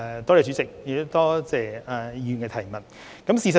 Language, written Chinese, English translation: Cantonese, 代理主席，多謝議員提出補充質詢。, Deputy President I thank the Member for his supplementary question